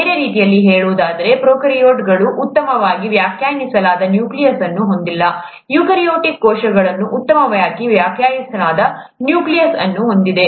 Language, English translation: Kannada, In other words, prokaryotes do not have a well defined nucleus, eukaryotic cells have a well defined nucleus